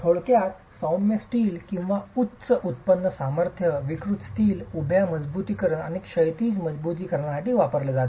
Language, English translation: Marathi, Typically, mild steel or high yield strength deformable steel are used both for vertical reinforcement and horizontal reinforcement